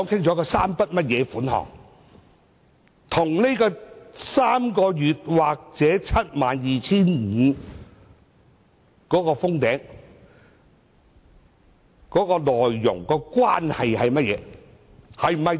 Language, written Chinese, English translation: Cantonese, 這3筆款項與3個月工資或 72,500 元上限有何關係？, What is the relationship between these three sums of money and the three months wages or the ceiling of 72,500?